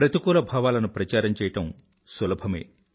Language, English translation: Telugu, Spreading negativity is fairly easy